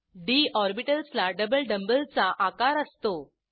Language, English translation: Marathi, d orbitals are double dumb bell shaped